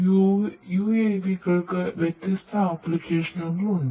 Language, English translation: Malayalam, UAVs have lot of different applications